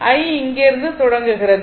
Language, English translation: Tamil, I is starting from here right